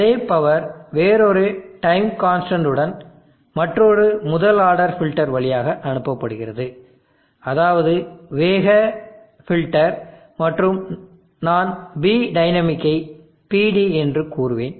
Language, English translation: Tamil, And this N power is pass through another first order filter the different N constant call it fast filter and I will say PD p dynamic